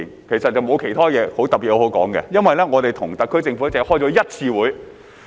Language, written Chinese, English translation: Cantonese, 其實並沒有其他特別的東西可說，因為我們與特區政府只開過一次會議。, Actually there is nothing special for me to say because we have only held one meeting with the SAR Government